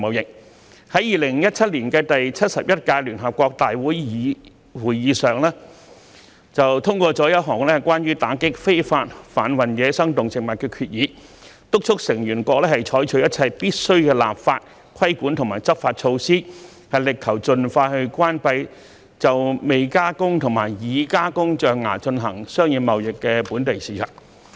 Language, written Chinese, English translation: Cantonese, 聯合國在2017年的第71屆聯合國大會會議上，通過一項關於打擊非法販運野生動植物的決議，敦促成員國採取一切必須的立法、規管及執法措施，力求盡快關閉就未加工及已加工象牙進行商業貿易的本地市場。, In 2017 the United Nations General Assembly adopted at its seventy - first session a resolution on tackling illicit wildlife trafficking urging member states to take all necessary legislative regulatory and enforcement measures to close their domestic markets for commercial trade in raw and worked ivory as a matter of urgency